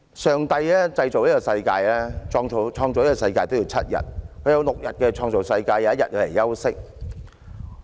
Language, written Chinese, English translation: Cantonese, 上帝創造這個世界也用上了7天，祂用6天來創造世界 ，1 天休息。, It takes seven days for God to create this world six days for creation and one day for rest